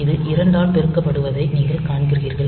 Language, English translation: Tamil, You see it is a multiplication by 2